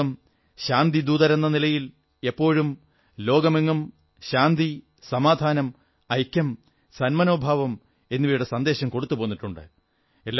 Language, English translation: Malayalam, India has always been giving a message of peace, unity and harmony to the world